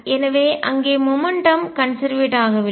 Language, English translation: Tamil, So, there is the momentum is not conserved